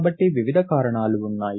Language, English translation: Telugu, So there are various reasons